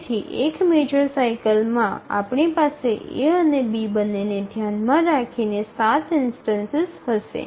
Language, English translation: Gujarati, So within one major cycle we will have seven instances altogether considering both A and B